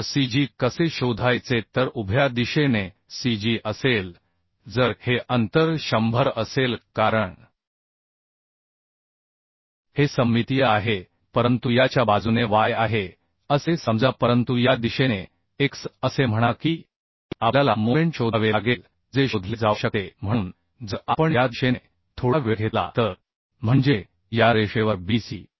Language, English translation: Marathi, So how to find out cg so along vertical directions cg will be if this distance will be 100 because this is symmetric but along this is y say suppose but along this direction say x that we have to find out